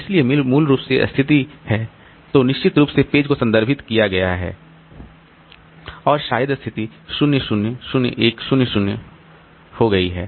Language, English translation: Hindi, So, basically this situation then definitely the page has been referred or maybe the situation has become 010